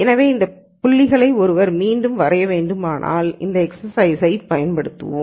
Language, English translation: Tamil, So, if one were to draw these points again that that we use this in this exercise